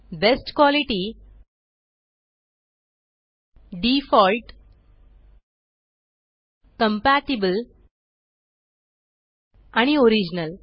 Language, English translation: Marathi, Best quality, default, compatible and original